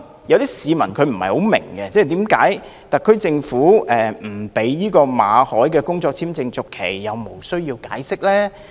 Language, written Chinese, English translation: Cantonese, 有些市民可能不太明白，為何特區政府不讓馬凱先生的工作簽證續期，但卻無須解釋。, Some members of the public may be perplexed as to why the SAR Government refused to renew the work visa of Mr MALLET without giving any explanation